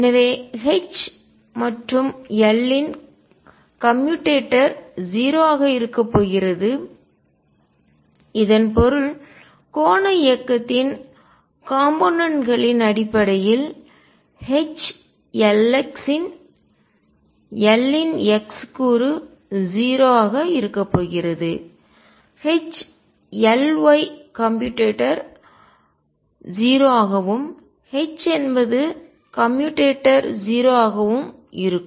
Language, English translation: Tamil, So, commutator of H and L is going to be 0 what that means, in terms of components of angular movement of H L x the x component of L will be 0 H L y commutator would be 0 and H is that commutator would be 0